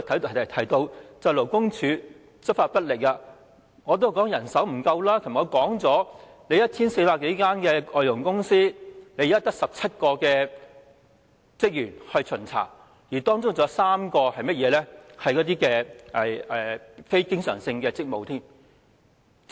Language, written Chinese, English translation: Cantonese, 我提到勞工處執法不力、人手不足，香港有 1,400 多間外傭公司，勞工處卻只有17名職員負責巡查，當中還有3個並非常額職位。, I have mentioned the ineffective law enforcement and shortage of manpower of the Labour Department LD . There are 1 400 - odd companies in Hong Kong providing placement of foreign domestic helper service but only 17 staff members of LD are responsible for conducting inspections and three of them do not hold a permanent post